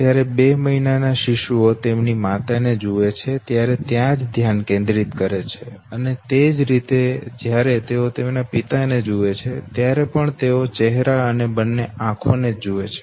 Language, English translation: Gujarati, One to two, two month old infants they focus when they look at these mothers okay, and of course when they look at their father’s also they look at only these two areas in the face, the eyes and the mouth